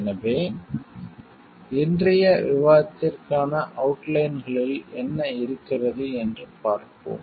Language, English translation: Tamil, So, let us see what is there in the outlines for today s discussion